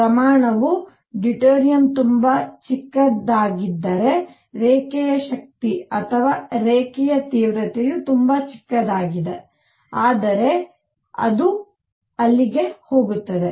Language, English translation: Kannada, If the quantity is deuterium is very small, then the line strength or the intensity of line is going to be very small, but it is going to be there